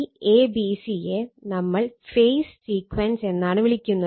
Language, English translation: Malayalam, This phase sequence, we call a b c phase sequence right we call a b c phase sequence